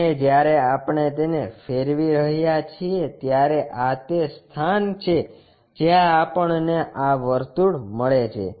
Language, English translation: Gujarati, And, when we are rotating it, this is the place where we get this circle